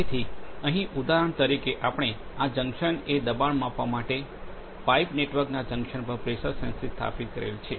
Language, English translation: Gujarati, So, here for example, we have a pressure sensor installed at the junction of the pipe network to give us the pressure at a pressure at this point